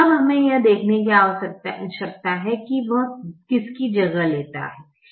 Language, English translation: Hindi, now we need to see which one it re[places] replaces